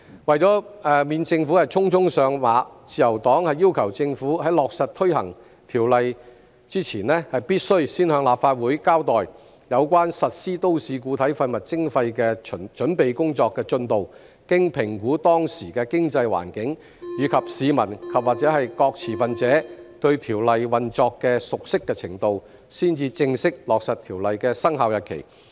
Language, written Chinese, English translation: Cantonese, 為免政府匆匆上馬，自由黨要求政府在落實推行《條例草案》前，必須先向立法會交代有關實施都市固體廢物徵費的準備工作進度，經評估當時的經濟環境，以及市民和各持份者對《條例草案》運作的熟悉程度，才正式落實《條例草案》的生效日期。, To avoid hasty implementation by the Government the Liberal Party requests that the Government must first give an account to the Legislative Council of the progress of the preparatory work for the implementation of MSW charging before the implementation of the Bill and formally finalize the commencement date of the Bill only after assessing the prevailing economic environment and how familiar are the public and various stakeholders with the operation of the Bill